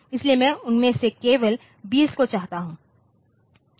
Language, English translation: Hindi, So, many I want only say 20 of them